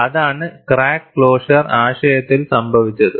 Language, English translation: Malayalam, That is what happened in crack closure concept